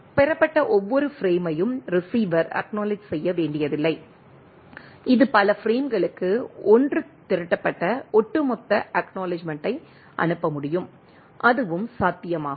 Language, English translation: Tamil, The receiver does not have to acknowledge each frame received, it can send 1 accumulate cumulative acknowledgement for several frames that is also possible